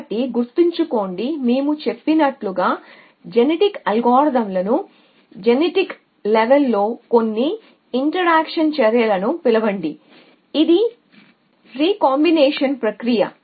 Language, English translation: Telugu, So, member, that we a said, that call genetic algorithms some it action in genetic level which is the process of recombination at genotype level